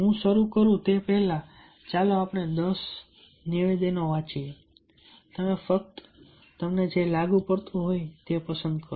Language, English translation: Gujarati, before i start, let us i am reading the ten statements you just pick, whichever applicable to you